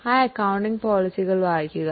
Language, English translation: Malayalam, Please go through those accounting policies